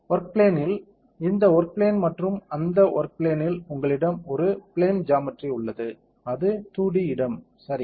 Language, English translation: Tamil, In the work plane, this is a work plane and in that work plane you have a plane geometry which is a 2D space ok